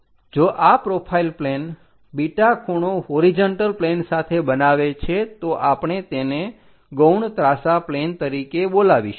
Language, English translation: Gujarati, If this profile plane makes an angle beta with the horizontal plane, we called auxiliary inclined plane